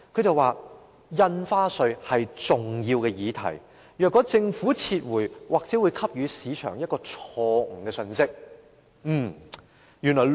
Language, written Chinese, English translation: Cantonese, 他表示，印花稅是重要的議題，如果政府撤回法案，或許會給予市場一個錯誤的信息。, He said that stamp duty was an important issue if the Government withdrew the Bill it might give the market a wrong message